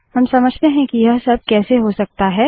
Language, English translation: Hindi, Let us understand how all this can be done